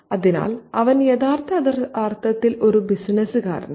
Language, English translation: Malayalam, So, he is a businessman in the real sense